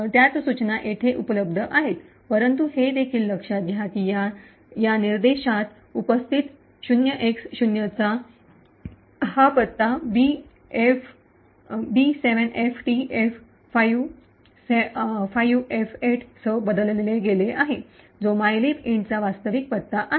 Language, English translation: Marathi, The same instructions are present over here but also notice that the 0X0 which is present in this instruction is replaced with this address B7FTF5F8, which is the actual address for mylib int